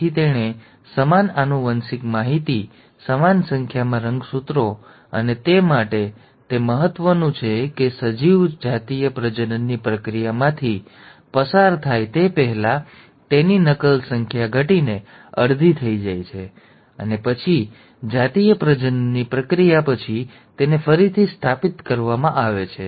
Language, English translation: Gujarati, So it has to maintain the same genetic information, the same number of chromosomes and for that, it is important that before an organism undergoes a process of sexual reproduction, its copy numbers are reduced to half, and then, after the process of sexual reproduction, it is restored back